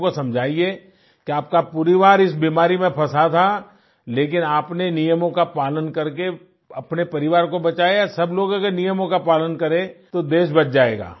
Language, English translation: Hindi, You must explain to the people that your family was in the clutches of this disease, but you managed to save your family by following the rules, if everyone follows the rules then the country too will be saved